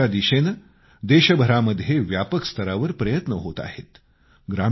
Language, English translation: Marathi, Efforts in the direction of cleanliness are being widely taken across the whole country